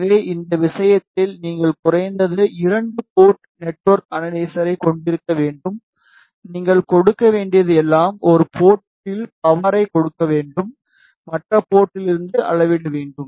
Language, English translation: Tamil, So, in this case you need to have at least 2 port network analyzer, all you need to give is you need to give power at one port and you need to measure from other port